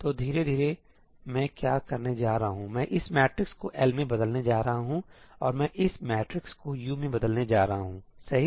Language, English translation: Hindi, So, slowly what I am going to do is, I am going to convert this matrix into L and I am going to convert this matrix into U